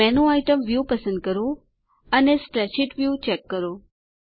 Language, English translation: Gujarati, Select the menu item view, and Check the spreadsheet view